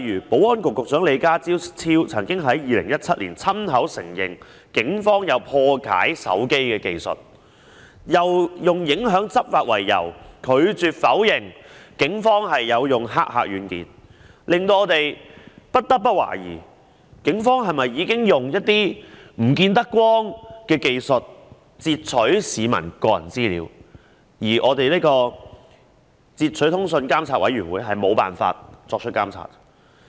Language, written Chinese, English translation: Cantonese, 保安局局長李家超曾在2017年親口承認，警方有破解手機的技術，並以影響執法為由，拒絕否認警方使用駭客軟件，令我們不得不懷疑，警方是否已經使用一些不能見光的技術截取市民個人資料，而截取通訊及監察事務專員無法作出監察。, The Secretary for Security Mr LEE Ka - chiu personally admitted in 2017 that the Police possessed the technology to crack mobile phones and on the grounds of affecting law enforcement refused to deny the Polices use of hacker software . It caused us to raise doubts as to whether the Police have been using some covert technologies to intercept peoples personal information and the Commissioner has failed to carry out monitoring